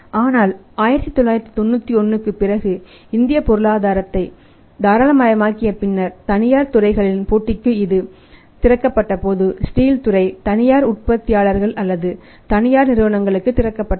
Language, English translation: Tamil, But after 1991 after liberalisation of Indian economy when this was opened up for the private competition of the private players the steel sector was opened up for the private manufacturers or private companies